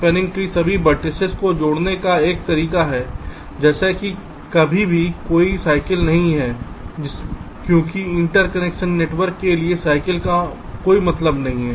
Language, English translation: Hindi, this spanning tree is a way of connecting all the vertices such that there is no cycle anywhere, because cycles for a interconnection network does not make any sense now with respect to this spanning tree